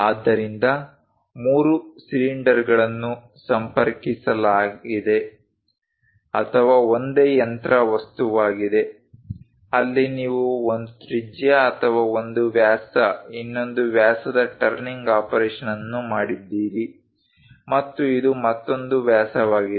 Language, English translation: Kannada, So, there are 3 cylinders connected with each other or a single machine object, where you made a turning operation of one radius or one diameter, another diameter and this one is another diameter